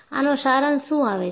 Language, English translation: Gujarati, And, what is the summary